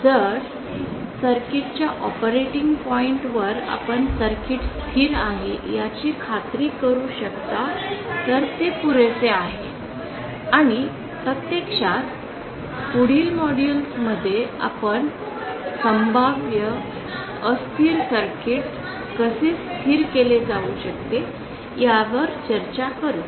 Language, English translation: Marathi, If just at the operating point of the circuit you can ensure that the circuit is stable then that is enough and in fact in the next module we shall be discussing how potentially unstable circuit can be made stable